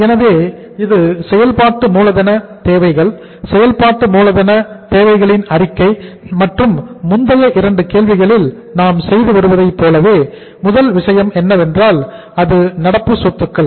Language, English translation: Tamil, So it is statement of working capital requirements, statement of working capital requirements and as we are doing in the past 2 problems we have been doing, first thing is the say current assets